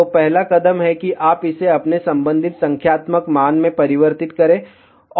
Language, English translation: Hindi, So, the first step is you convert that to its corresponding numeric value